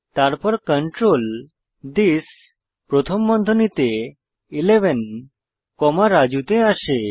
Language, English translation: Bengali, Then the control comes to this within brackets 11 comma Raju